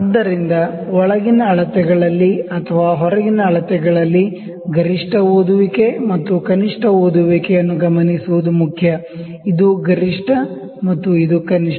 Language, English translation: Kannada, So, in inside measurements or in outside measurements it is important to note the maximum reading and the smallest reading; maximum and you call it minimum